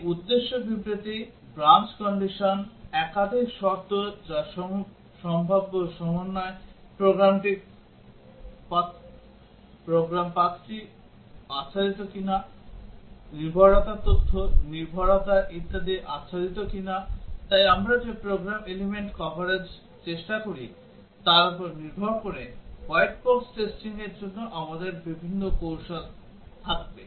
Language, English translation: Bengali, These target statement, branch, condition, multiple conditions that is all possible combinations, program paths whether program paths are covered, dependency whether data dependency etcetera are covered, so we would have different strategies for white box testing depending on the program element coverage that we attempt